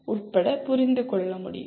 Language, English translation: Tamil, It is related to understand